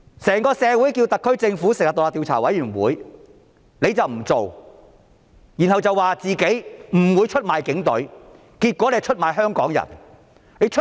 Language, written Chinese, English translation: Cantonese, 社會要求特區政府成立獨立調查委員會，但她卻不做，然後說自己不會出賣警隊，結果卻出賣香港人。, There have been calls in society for establishing an independent commission of inquiry by the SAR Government but she has refused to do so saying that she would not sell out the Police Force